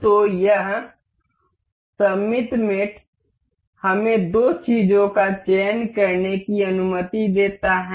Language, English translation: Hindi, So, this symmetric mate allows us to select two things